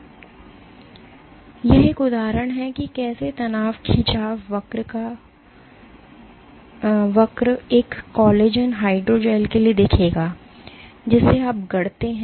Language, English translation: Hindi, So, this is an example of how a stress strain curve would look for a collagen hydrogel that you fabricate